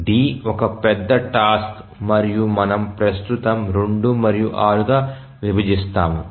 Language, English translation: Telugu, So, is D is a large task and we divide into 2 and 6